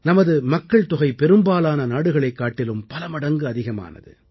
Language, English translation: Tamil, Our population itself is many times that of most countries